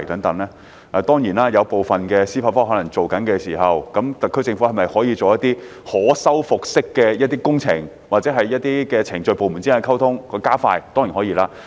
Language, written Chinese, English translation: Cantonese, 他問及一些正在進行司法覆核的項目，特區政府可否進行一些可修復式的工程或加快部門之間的溝通，這當然是可以的。, Referring to cases under judicial review Mr LAU asked if the SAR Government could proceed with the restoration works or expedite the communication among various departments . This is certainly feasible